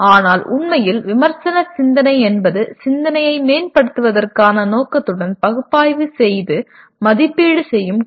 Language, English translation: Tamil, But actually critical thinking is the art of analyzing and evaluating thinking with a view to improving it